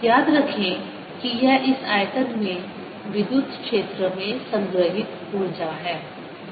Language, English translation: Hindi, recall that this is the energy stored in the electric field in this volume